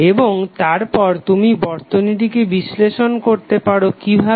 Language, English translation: Bengali, And then you will analyze the circuit